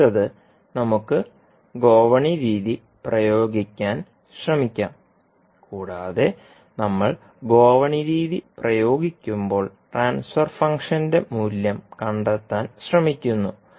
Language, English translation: Malayalam, Now, next is that let us try to apply ladder method and we find we will try to find out the value of transfer function when we apply the ladder method